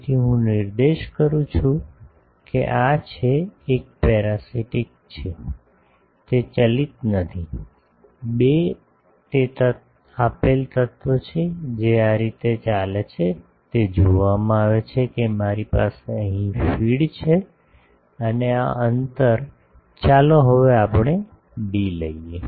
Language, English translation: Gujarati, So, let me point out that this is, 1 is a parasite, I am not driving it, the 2 is a given element this is driven seen that I am having a feed here driven and this spacing is let us take d now